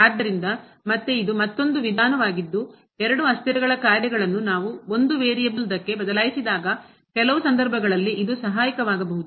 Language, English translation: Kannada, So, again this is another approach which could be helpful in some cases when we can change the functions of two variables to one variable